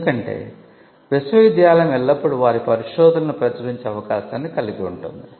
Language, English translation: Telugu, Because university is always having an option of publishing their research